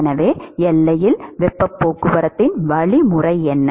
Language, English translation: Tamil, So, what is the mechanism of heat transport at the boundary